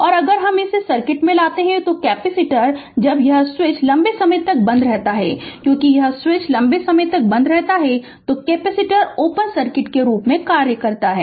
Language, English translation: Hindi, And we have to if you come to this this circuit right, so our capacitor when this switch is closed for long time for do dc, because this switch is closed for long time, the capacitor act as ah your what you call open circuit right